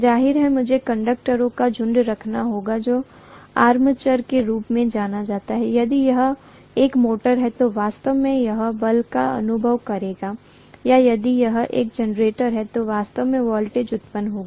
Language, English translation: Hindi, Obviously I have to have the bunch of conductors which is known as armature which will actually experience the force if it is a motor or which will actually have the generated voltage if it is a generator